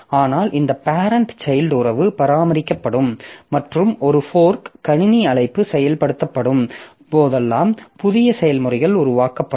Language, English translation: Tamil, But this parent child relationship will be maintained and new processes will be created whenever a fork system call is executed